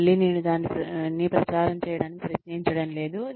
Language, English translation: Telugu, Again, I am not trying to publicize it